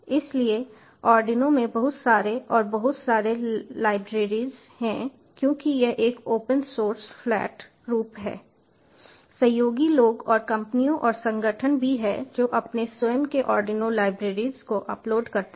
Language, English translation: Hindi, since its an open source, flat form, ah, collaboratively people also people and companies and organizations, they upload their own arduino libraries